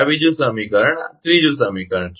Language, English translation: Gujarati, This is second equation, third equation